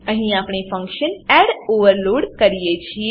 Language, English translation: Gujarati, Here we overload the function add